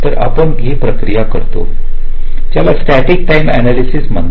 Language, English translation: Marathi, so we perform a process called static timing analysis